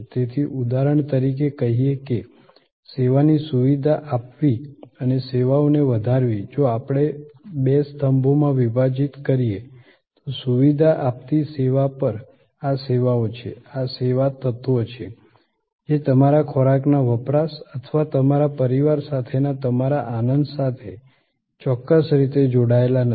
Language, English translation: Gujarati, So, let say for example, facilitating service and enhancing services if we divide in two columns, then on the facilitating service, these are services, these are service elements, which are not exactly connected to your consumption of food or your enjoyment with your family, but these are very important